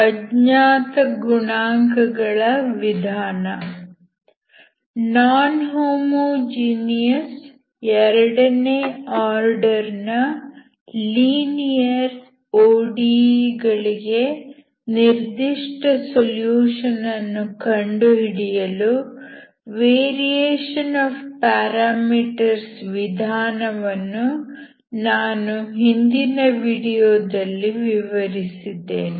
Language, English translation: Kannada, I have explained the method of variation of parameters to find the particular solution of non homogeneous second order linear ODE in the previous video